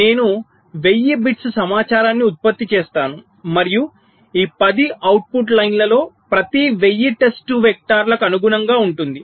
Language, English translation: Telugu, there are ten output lines, so i will be generating one thousand bits of information and each of this ten output lines corresponding to the one thousand test vectors